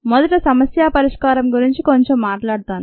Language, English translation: Telugu, let me first talk a little bit about problem solving